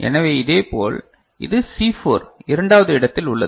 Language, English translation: Tamil, So, similarly it is second from C4 ok